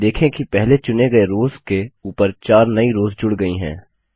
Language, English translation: Hindi, Notice that 4 new rows are added above the first of the selected rows